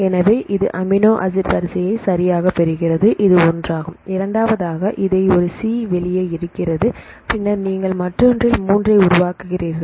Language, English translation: Tamil, So, it get the amino acid sequence right this is one and the second one it take this one out C then you make in the another 3